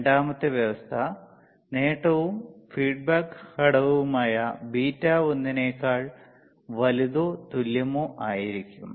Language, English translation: Malayalam, Second condition was the gain intoand feedback favector beta should be more of gain into beta should be greater than or equal to 1,